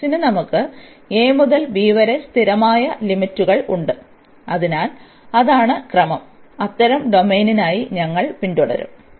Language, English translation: Malayalam, And for then x we have the constant limits from a to b, so that is the sequence, we should follow for such domain